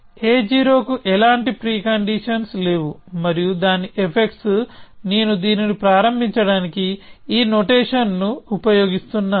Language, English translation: Telugu, A 0 has no preconditions and its effects is equal to I just use this notation to start it